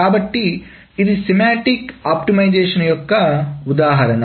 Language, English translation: Telugu, So that is an example of a semantic optimization